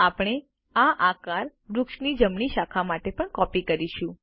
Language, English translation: Gujarati, We shall copy this shape to the right branch of the tree, also